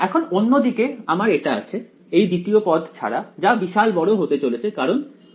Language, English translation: Bengali, Now on the other hand over here I have this other this second term over here which is blowing up as 1 by x